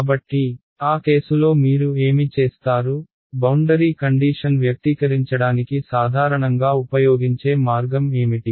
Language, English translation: Telugu, So, in that case what will you, what is the most commonly used way of expressing boundary condition